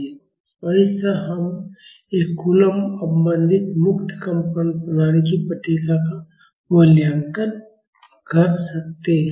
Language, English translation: Hindi, So, this way we can evaluate the response of a coulomb damped free vibration system